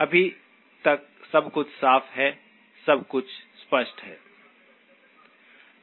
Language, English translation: Hindi, So far everything is clean, everything is clear